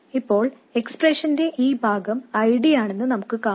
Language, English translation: Malayalam, Now you notice that this part of the expression is nothing but ID